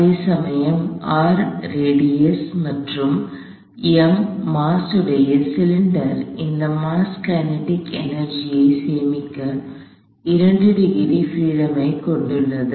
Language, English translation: Tamil, Whereas, this mass which is the cylinder of radius R and mass m has 2 degrees of freedom to store kinetic energy